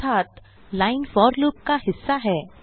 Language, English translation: Hindi, It means that line is a part of the for loop